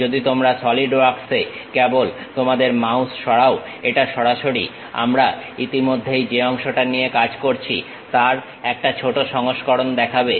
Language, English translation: Bengali, If you are just moving your mouse on Solidwork, it straight away shows the minimized version of what is that part we have already worked on